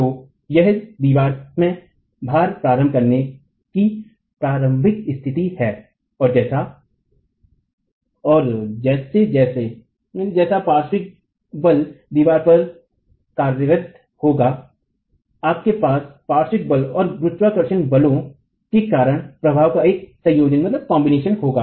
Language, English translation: Hindi, So, this is the initiation of the initial condition of loading in the wall and as the lateral forces act on the wall you will have a combination of the effects due to the lateral force and that of the gravity forces